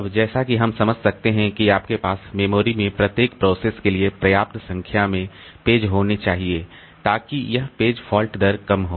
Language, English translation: Hindi, Now, as you can understand that we should have enough number of pages for every process in the memory so that this page fault rate is low